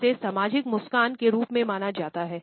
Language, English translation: Hindi, This is known as a social smile